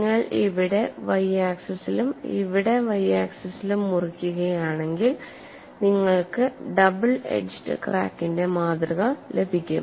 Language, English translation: Malayalam, And if you cut it along the y axis here, and also along the y axis here, you will get the specimen of double edged crack